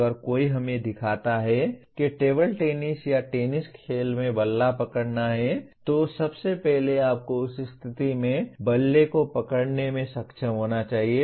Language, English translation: Hindi, If somebody shows let us say how to hold a bat in a table tennis or a tennis game so first you should be able to hold the bat in that position